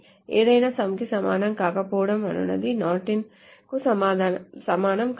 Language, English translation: Telugu, However, not equal to sum is not equivalent to not in